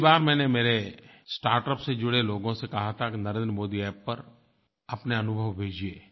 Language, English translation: Hindi, Last time, I told people associated with startup to narrate their experiences and send it to me on 'Narendra Modi App'